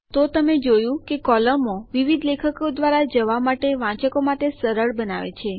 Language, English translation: Gujarati, So you see columns make it easier for the reader to go through multiple articles